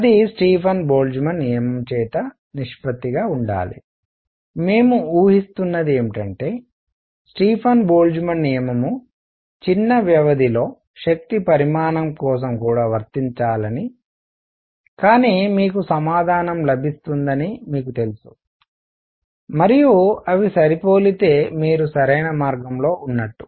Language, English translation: Telugu, That should be the ratio by a Stefan Boltzmann law; what we are assuming is the Stefan Boltzmann law holds even for energy content in small intervals, all right, but you know you get your answer and if they matches you are on the right track